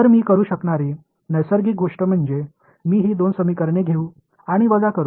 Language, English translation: Marathi, So, the natural thing that I could do is I can take these two sets of equations and subtract them